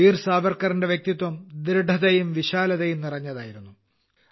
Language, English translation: Malayalam, Veer Savarkar's personality comprised firmness and magnanimity